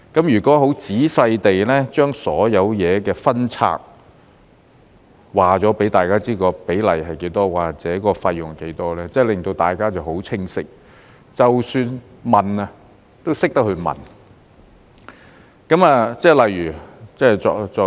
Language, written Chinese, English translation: Cantonese, 如果仔細地把所有事情分拆，告訴大家有關比例多少或者費用多少，便會令大家都很清晰，即使要問，也懂得如何問。, If a detailed breakdown of all the items are provided telling us how high the ratio is or how much the fees are then we will have a clear picture and know how to ask questions when in doubt